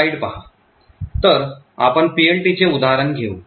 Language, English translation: Marathi, So, let us take an example of PLT